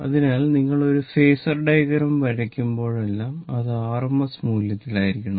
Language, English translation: Malayalam, So, whenever you will draw phasor diagram, it should be in rms value